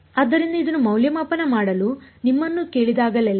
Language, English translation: Kannada, So, whenever you are asked to evaluate this